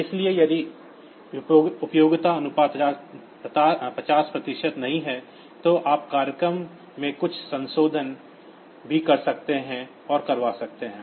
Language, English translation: Hindi, So, if duty cycle is not 50 percent, then also you can do some small modification to the program and get it done